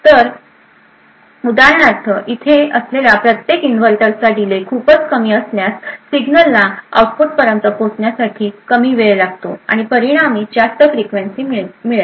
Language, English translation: Marathi, So, for example, if the delay of each inverter present is a very short then the signal would take a shorter time to reach the output and as a result you will get a higher frequency